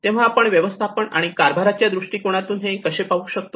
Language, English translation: Marathi, So how we can look at the management and the governance perspective